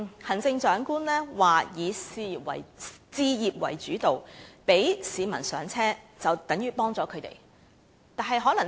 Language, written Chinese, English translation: Cantonese, 行政長官表示以置業為主導，讓市民"上車"便等於幫助了他們。, As stated by the Chief Executive focusing on home ownership to enable members of the public to buy their first homes means helping them